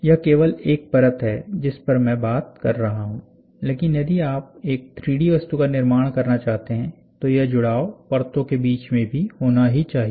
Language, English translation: Hindi, This is only in one layer I am talking, but if you want to construct a 3D object, then it should be between layers also there has to be a sticking happening